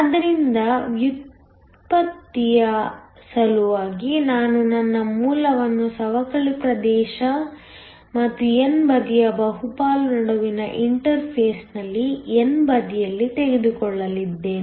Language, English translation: Kannada, So, for the sake of derivation I am going to take my origin on the n side at the interface between the depletion region and the bulk of the n side